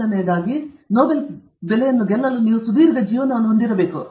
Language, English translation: Kannada, The first thing is you have to have a long life to win the Nobel price